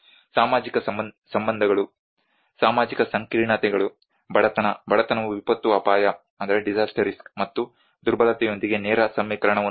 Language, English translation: Kannada, The social relationships; the social complexities, the poverty, poverty has a direct equation with the disaster risk and the vulnerability